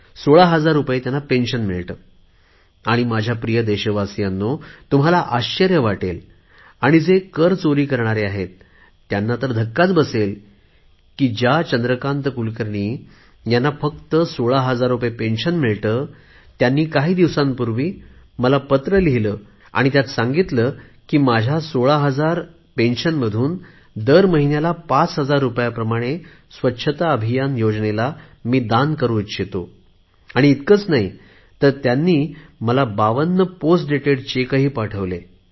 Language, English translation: Marathi, And my dear countrymen, you will be surprised to hear, and those who are in the habit of evading tax will get a shock to know that Chandrakant Kulkarni Ji, who gets a pension of only rupees sixteen thousand, some time back wrote a letter to me saying that out of his pension of 16,000, he voluntarily wants to donate Rs